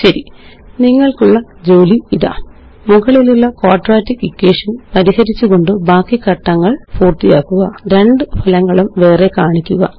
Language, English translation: Malayalam, Okay, here is an assignment for you: Complete the remaining steps for solving the quadratic equation Display the two results separately